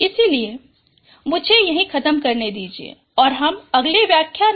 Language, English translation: Hindi, So let me stop here and we will continue this topic in the next lectures